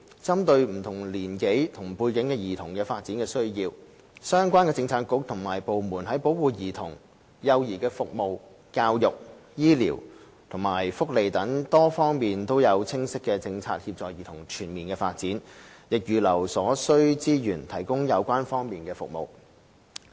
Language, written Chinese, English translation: Cantonese, 針對不同年齡及背景的兒童的發展需要，相關政策局及部門在保護兒童、幼兒服務、教育、醫療及福利等多方面都有清晰的政策協助兒童全面發展，亦預留所需資源提供相關服務。, Catering to the development needs of children of different ages and backgrounds the relevant Policy Bureaux and departments facilitate the holistic development of children under clearly - defined policies on aspects as varied as child protection child care services education health care and welfare and set aside resources necessary for the provision of such services